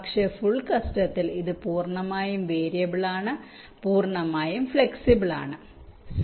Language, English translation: Malayalam, but for full custom it is entirely variable, entirely flexible cell type